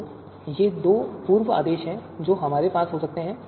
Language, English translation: Hindi, So these are the two pre orders that we can have